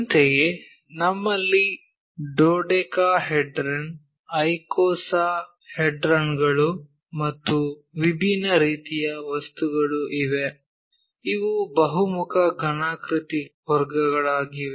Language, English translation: Kannada, Similarly, we have dodecahedron, icosahedrons and different kind of objects, these are commander category of polyhedra